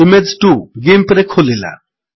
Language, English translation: Odia, Image 2 opens in GIMP